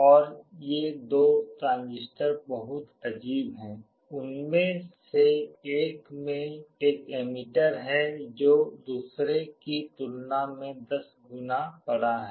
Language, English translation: Hindi, And these two transistors are very peculiar, one of them has an emitter which is 10 times larger than the other